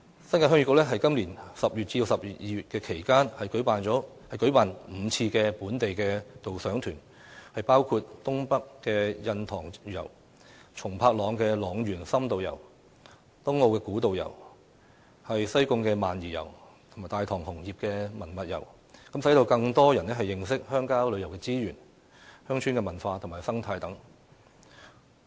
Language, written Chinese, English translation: Cantonese, 新界鄉議局在今年10月至12月期間，舉辦共5次本地導賞團，包括"東北印塘遊"、"塱原松柏塱深度遊"、"東澳古道行"、"西貢萬宜遊"及"大棠紅葉文物遊"，讓更多人認識鄉郊旅遊資源、鄉村文化及生態等。, From October to December this year the Heung Yee Kuk NT . organized a total of five local guided tours namely the Tour of Double Haven in the Northeast the In - depth Tour of Long Valley and Tsung Pak Long A Walk on Tung O Ancient Trail the Tour of High Island Reservoir in Sai Kung and the Tai Tong Red Leaves and Heritage Tour so as to enable more people to understand our rural tourism resources village cultures ecology and so on